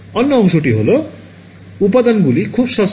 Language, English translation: Bengali, The other part is that the components are very cheap